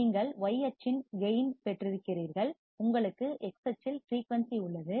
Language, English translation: Tamil, You have gain on y axis; you have frequency on x axis